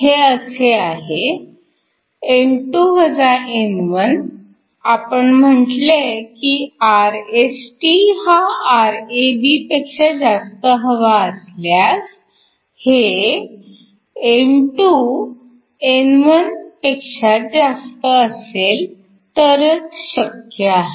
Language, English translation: Marathi, In order for Rst to be greater than Rab we essentially want N2 to be greater than N1